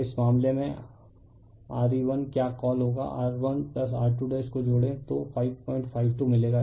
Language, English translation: Hindi, So, in this case your what you call Re r will beR 1 plus R 2 dash you add will get 5